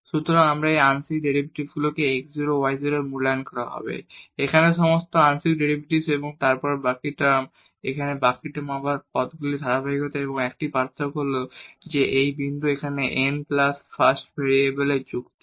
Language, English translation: Bengali, So, these partial derivatives will be evaluated at x 0 y 0 all the partial derivatives here and then the rest term here the remainder term which is again the continuation of these terms and the only difference is that this point here the argument of the n plus 1th derivative